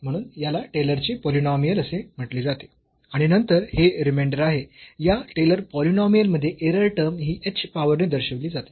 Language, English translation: Marathi, So, this is this is called the Taylor’s polynomial and then this is the remainder the error term in this Taylor’s polynomial which is denoted by the h power